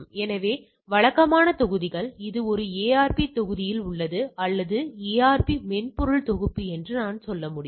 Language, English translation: Tamil, So, these are the typical modules which is there in a ARP suite all right or what I can say ARP software package